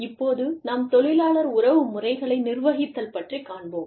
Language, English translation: Tamil, Now, we will move on to the topic of, Managing the Labor Relations Process